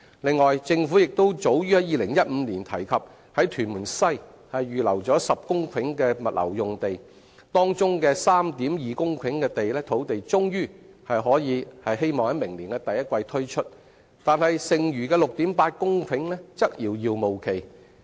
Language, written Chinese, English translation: Cantonese, 此外，政府亦早於2015年提及在屯門西預留10公頃物流用地，當中的 3.2 公頃的土地終於可望於明年第一季推出，但剩餘的 6.8 公頃的推出時間則遙遙無期。, Furthermore the Government mentioned in 2015 that it would earmark 10 hectares of land in Tuen Mun West for logistics use . It is expected that 3.2 hectares of land will finally be made available in the first quarter of next year but no timetable has been set for the remaining 6.8 hectares